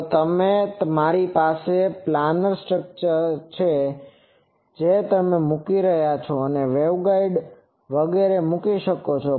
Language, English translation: Gujarati, If I have a planar structure they are putting you can put waveguides etc